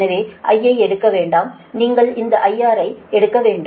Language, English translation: Tamil, so don't take i, you have to take this i r